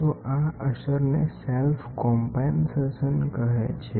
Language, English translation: Gujarati, So, this effect is called as self compensation